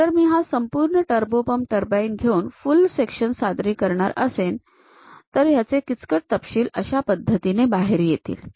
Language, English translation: Marathi, If I am taking that entire turbo pump turbine, taking a full sectional representation; the complicated details will come out in this way